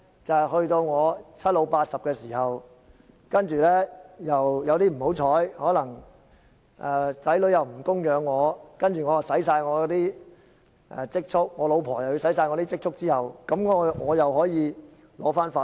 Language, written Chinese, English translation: Cantonese, 就是當我七老八十的時候，不幸地子女不供養我，而我和太太都花盡所有積蓄，這個時候我便可以申請法援。, I have to wait until I become an elderly person at the age of 70 or 80 and at that time unfortunately my children are not going to support me and my wife and I have exhausted our savings then I will become eligible for legal aid again